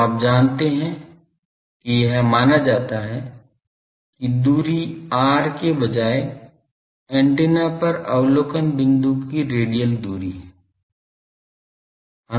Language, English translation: Hindi, So, you see this is considered as that instead of the distance r is the radial distance of the observation point on the antenna